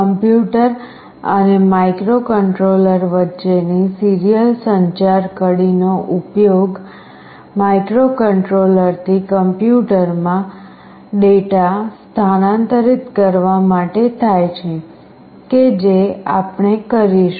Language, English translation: Gujarati, A serial communication link between the PC and the microcontroller is used to transfer data from microcontroller to PC, which is what we will be doing